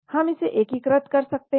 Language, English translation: Hindi, We can integrate that